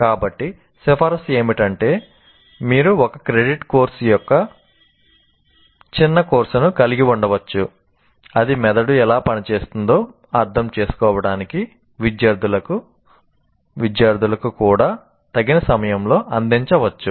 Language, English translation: Telugu, So the recommendation is you can have a short course, a one credit course that can be offered at some suitable point even to the students and design for students so that facilitate them to understand how the brain works